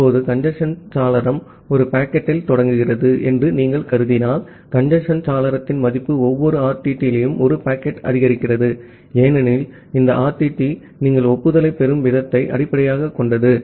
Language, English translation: Tamil, Now, if you assume that the congestion window starts at 1 packet, and the value of the congestion window is increased 1 packet at every RTT, because this RTT is based on the rate at which you are receiving the acknowledgement